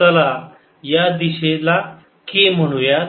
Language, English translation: Marathi, let's call this direction k